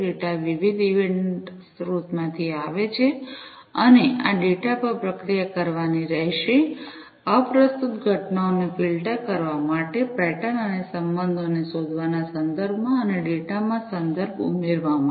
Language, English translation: Gujarati, Data come from different event sources and this data will have to be processed, with respect to filtering out irrelevant events, with respect to detecting patterns and relationships, and adding context to the data